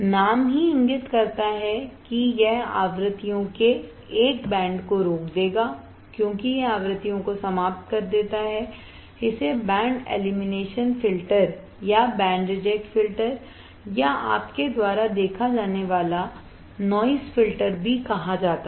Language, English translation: Hindi, The name itself indicates it will stop a band of frequencies since it eliminates frequencies, it is also called band elimination filter or band reject filter or noise filter you see